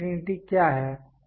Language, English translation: Hindi, What is uncertainty